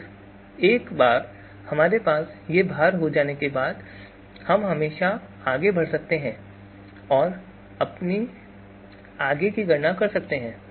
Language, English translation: Hindi, Then once we have these weights we can always go ahead and compute the you know do our further computations